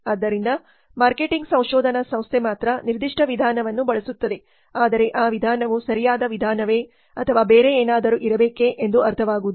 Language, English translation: Kannada, So only the marketing research firm uses a particular methodology but it is not understood whether that methodology is the correct methodology or there should have been something else